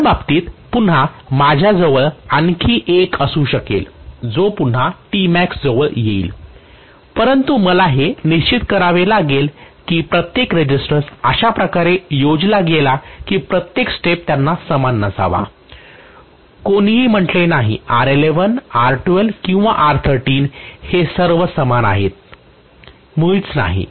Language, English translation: Marathi, In the next case again, I may have one more which will again come closer to T max, but I have to make sure that every resistance is designed in such a way that every step they need not be equal, nobody said R11 R12 or R13 they all have to be equal, not at all